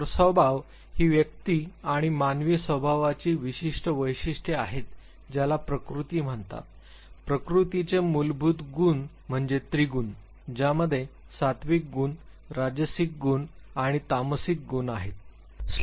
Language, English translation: Marathi, So, Svabhava would be that typical characteristics of the individual and the human nature is what is called the Prakriti the fundamental attribute of Prakriti is TriGuna which has three elements the Sattvic Guna the Rajasic Guna and the Tamasic Guna